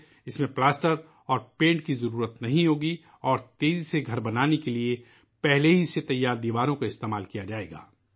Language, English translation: Urdu, In this plaster and paint will not be required and walls prepared in advance will be used to build houses faster